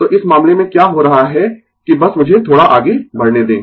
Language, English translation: Hindi, So, in this case, what is happening that just let me move little bit up